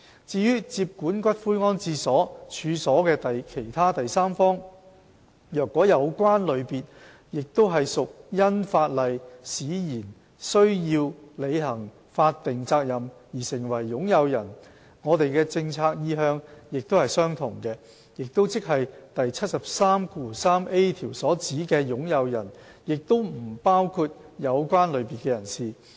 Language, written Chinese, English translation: Cantonese, 至於接管骨灰安置所處所的其他第三方，若有關類別也屬因法例使然須履行法定責任而成為擁有人，我們的政策意向也是相同的，即第 733a 條所指的"擁有人"也不包括有關類別的人士。, As for other third parties taking possession of columbarium premises if a person in the category concerned is also required to fulfil his statutory obligations by law and becomes an owner our policy intent remains the same that is the meaning of owner under clause 733a does not include persons in such category